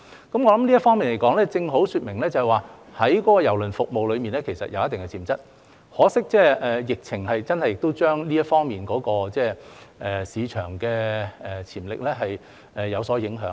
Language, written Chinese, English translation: Cantonese, 我想這正好說明郵輪服務其實有一定的潛質，可惜的是，疫情真的令這方面的市場潛力有所影響。, I think this precisely shows that cruise services do have certain potential but unfortunately the pandemic has really affected the market potential in this respect